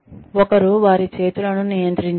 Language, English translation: Telugu, One should control, one's hands